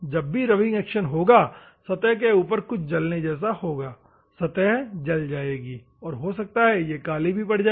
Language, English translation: Hindi, So, the rubbing action whenever the rubbing action takes place there will be a surface burning action, the surface will burn, and maybe it becomes black